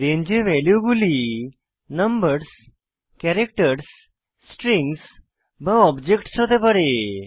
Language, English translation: Bengali, The values in a range can be numbers, characters, strings or objects